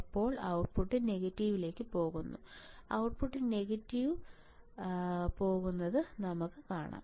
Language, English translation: Malayalam, Let us try my output will go to negative, the output will go to negative right easy very easy, right, very easy